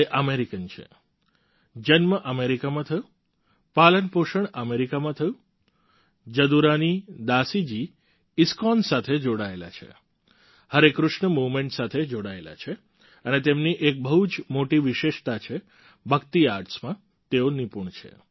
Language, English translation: Gujarati, She is American, was born in America, brought up in America, Jadurani Dasi ji is connected to ISKCON, connected to Harey Krishna movement and one of her major specialities is that she is skilled in Bhakti Arts